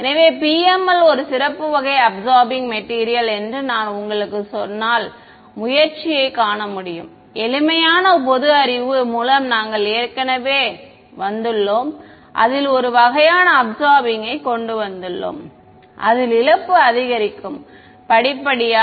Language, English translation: Tamil, So, you can if I tell you that the PML is a special kind of absorbing material you can see the motivation, we have already come across just by simple common sense we have come up with one kind of absorber in which where the loss increases gradually right